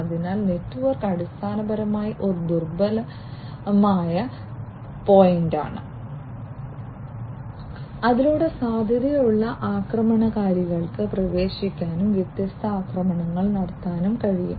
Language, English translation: Malayalam, So, network, basically is a vulnerable point through which potential attackers can get in and launch different attacks